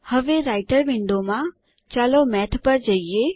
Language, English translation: Gujarati, Now, in the Writer window, let us call Math